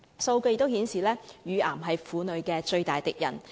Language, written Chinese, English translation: Cantonese, 數據顯示，乳癌是婦女的最大敵人。, Data indicated that breast cancer is the biggest enemy of women